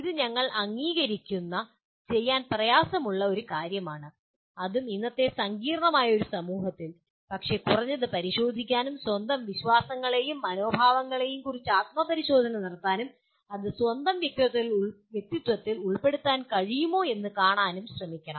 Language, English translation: Malayalam, This is a tall order we agree, and that too in a present day complex society but at least one should make an attempt to inspect, to introspect on one’s own believes and attitudes and see whether it can be incorporated into one’s own personality